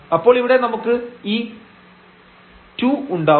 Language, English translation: Malayalam, So, here in x we have 1 and then we have 2 there